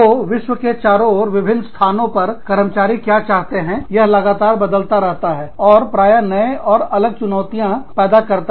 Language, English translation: Hindi, So, what employees want, in various locations, around the world, is constantly changing, and often creates new and difficult challenges